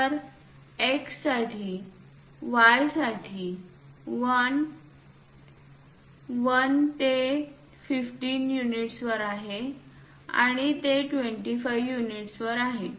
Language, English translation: Marathi, So, for X for Y for 1, 1 it is at 15 units and it is at 25 units